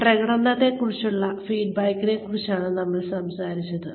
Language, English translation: Malayalam, We were talking about, the feedback on performance